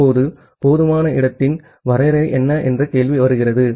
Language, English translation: Tamil, Now, the question comes that what is the definition of the sufficient space